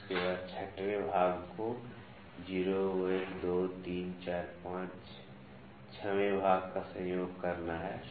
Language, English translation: Hindi, After, that 6th division 0, 1, 2, 3, 4, 5, 6th division has to coincide